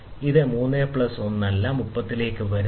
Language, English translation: Malayalam, So, it is not coming plus 3 plus 1, it is not coming to 33